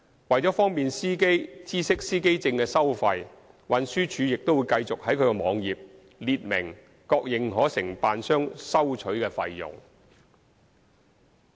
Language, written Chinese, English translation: Cantonese, 為方便司機知悉司機證的收費，運輸署會繼續在其網頁列明各認可承辦商收取的費用。, To facilitate the drivers awareness of the fees charged for driver identity plates TD will continue to list on its web page the fees charged by various authorized agents